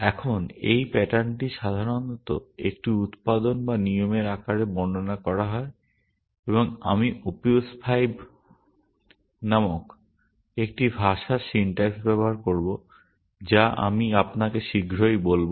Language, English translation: Bengali, Now, this pattern is typically described in the form of a production or the rule and I will use the syntax of a language called Opius 5, which I will shortly tell you